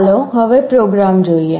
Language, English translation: Gujarati, Now let us look at the program